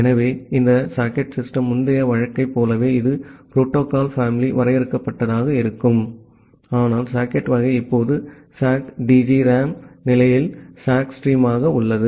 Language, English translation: Tamil, So, this socket system call similar to the earlier case it will take a finite as the protocol family, but the socket type is now SOCK STREAM in state of SOCK DGRAM